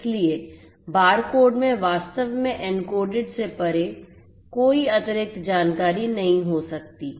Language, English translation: Hindi, So, barcodes cannot contain any added information beyond what is actually encoded in these codes